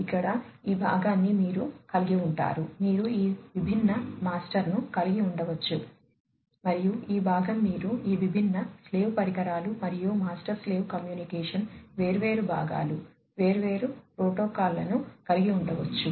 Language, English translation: Telugu, So, here you would be having this part you could be having all these different master and this part you could be having all these different slave devices and master slave communication, different parts, different protocols